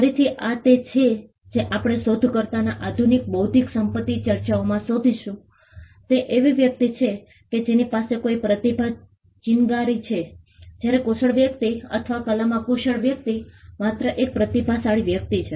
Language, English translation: Gujarati, Again, this is something which we will find in modern intellectual property debates in inventor is somebody who has the spark of a genius, whereas a skilled person or a person skilled in the art is just a talented person